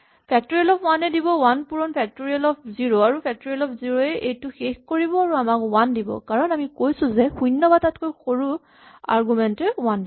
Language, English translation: Assamese, Factorial of 1 will give me 1 times factorial of 0 and the point is that factorial 0 will now terminate and it will give me 1, because it says that argument is less than or equal to 0 return 1